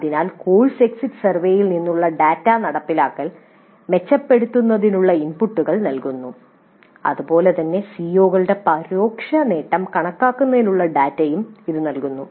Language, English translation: Malayalam, Thus the data from course exit survey provides inputs for improving the implementation as well as it provides the data for indirect attainment of COs, computation of indirect attainment